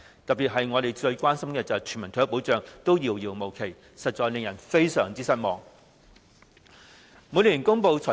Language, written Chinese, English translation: Cantonese, 特別要指出是，我們最關心的全民退休保障依然遙遙無期，實在令人非常失望。, It must be pointed out in particular that the introduction of universal retirement protection our greatest concern is still nowhere in sight . This is indeed very disappointing